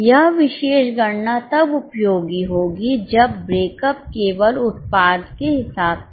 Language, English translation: Hindi, This particular calculation will be useful when breakup is only product wise